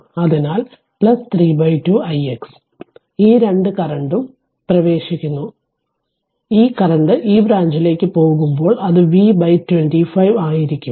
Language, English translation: Malayalam, So, plus 3 by 2 i x right these 2 current both are entering and is equal to this current is leaving to this branch it will be V by 25